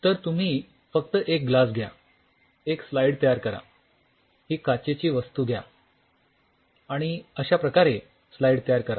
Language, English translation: Marathi, So, you just take the glass you make a slide take the whole glass thing and you prepare a slide like this